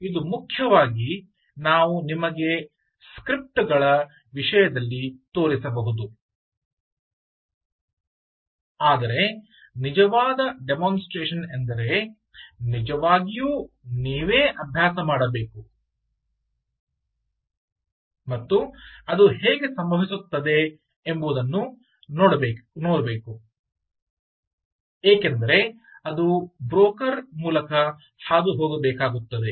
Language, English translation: Kannada, so this is mainly what you can, what we can show you in terms of scripts, but a real demonstration would mean that you should actually practice by yourself and see how exactly it happens, because it has to pass through the broker